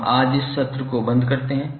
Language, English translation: Hindi, So we close this session today